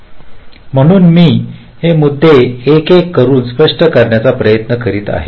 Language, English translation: Marathi, so i shall be trying to explain this points one by one